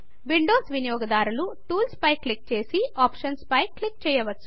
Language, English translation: Telugu, Windows users can click on Tools and then on Options